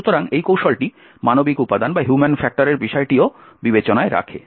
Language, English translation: Bengali, So, this technique also takes care of human factor as well